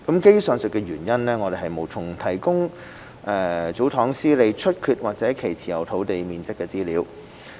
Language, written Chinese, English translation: Cantonese, 基於上述原因，我們無從提供祖堂司理出缺或其持有土地面積的資料。, For the above reasons we are unable to provide the information on the vacancies of tsotong managers and the site area of the lands held